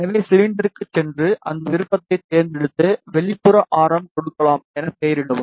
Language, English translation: Tamil, So, go to cylinder, select that option, name it as via maybe give outer radius as maybe rvia